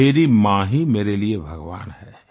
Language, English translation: Hindi, My mother is God to me